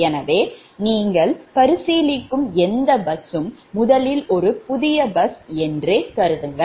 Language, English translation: Tamil, so any bus, you are considering its a new bus first, right